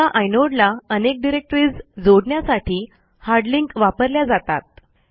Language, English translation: Marathi, Hard links are to associate multiple directory entries with a single inode